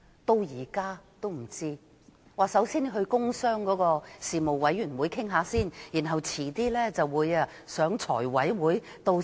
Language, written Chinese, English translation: Cantonese, 當局只說首先要在工商事務委員會討論，然後再在財務委員會討論。, The authorities only response is that the issue will be discussed by the Panel on Commerce and Industry first and then by the Finance Committee